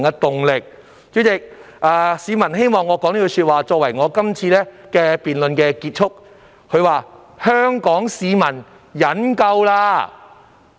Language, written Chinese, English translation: Cantonese, 代理主席，有市民希望以一句話作為我這次發言的總結："香港市民忍夠了！, Deputy President a member of the public would like me to conclude my speech in this session today with these words The people of Hong Kong have had enough!